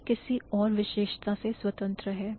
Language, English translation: Hindi, So, these are independent of any other property